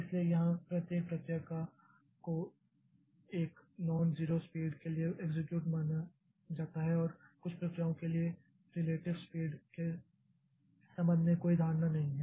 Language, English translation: Hindi, So, here each process is assumed to execute for a non zero speed and assume no assumption concerning the relative speed of the processes